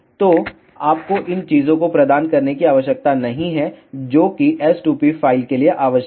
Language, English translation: Hindi, So, you need not to provide these things thing that is necessary for s2p file is this